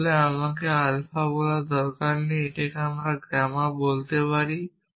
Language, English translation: Bengali, In fact, I do not need have to call it alpha I could call it gamma